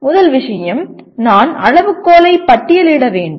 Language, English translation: Tamil, First thing is I have to list a set of criteria